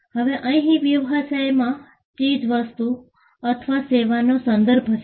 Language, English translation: Gujarati, Now, the thing here in business refers to goods or a service